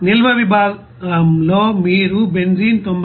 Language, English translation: Telugu, In the storage section you will see that benzene it will be 99